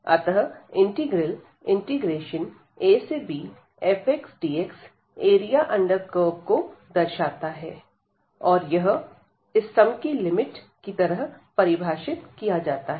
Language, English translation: Hindi, So, this integral a to b f x dx represents the area under this curve here and this is defined as the limit of this sum